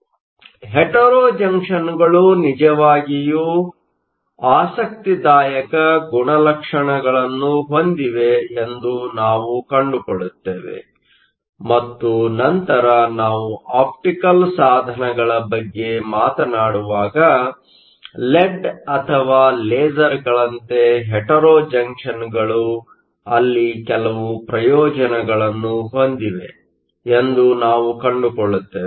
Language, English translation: Kannada, So, we will find that hetero junctions have some really interesting properties and later, when we talk about optical devices as well like, led or lasers, we will find that hetero junctions have some advantage there